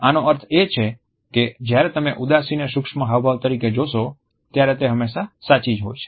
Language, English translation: Gujarati, This means when you see sadness as a micro expression it is almost always true